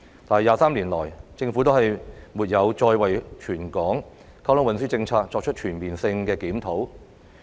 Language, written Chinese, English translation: Cantonese, 但是 ，23 年過去，政府沒有再為全港運輸政策作出全面性檢討。, However after 23 years the Government has not conducted another comprehensive review of the territory - wide transport policy